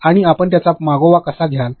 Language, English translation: Marathi, And also how will you track this